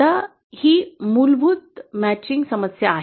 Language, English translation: Marathi, Now this is the basic matching problem